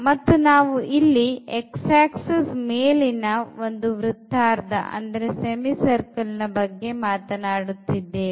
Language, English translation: Kannada, And then the x axis and we are talking about the semi circular region